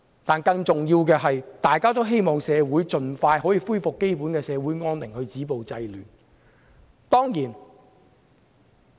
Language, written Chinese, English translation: Cantonese, 但是，更重要的是，大家都希望社會盡快恢復基本安寧，止暴制亂。, However more importantly everyone hopes that overall peace will be restored in our society with violence stopped and disorder curbed